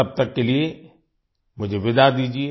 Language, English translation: Hindi, Till then I take leave of you